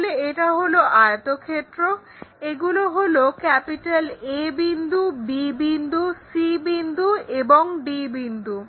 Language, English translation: Bengali, So, let us call this is point A and this is point B and this is point C and this is point D